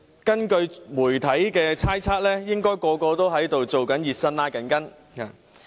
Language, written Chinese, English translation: Cantonese, 根據媒體猜測，應該都在"熱身"、"拉筋"。, Based on media conjecture they are probably doing some warm - up and stretching exercises now